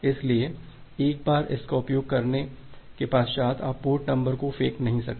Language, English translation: Hindi, So, you cannot throw out a port number once it is being used